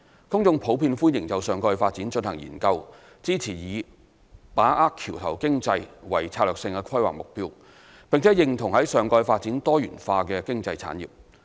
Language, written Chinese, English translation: Cantonese, 公眾普遍歡迎就上蓋發展進行研究，支持以"把握橋頭經濟"為策略性規劃目標，並認同在上蓋發展多元化經濟產業。, The public generally welcomed conducting studies for the topside development supported the strategic goal of capitalizing on the bridgehead economy and agreed to the topside development of diversified economic industries